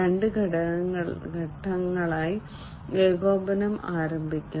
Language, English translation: Malayalam, Coordination can be initiated in two steps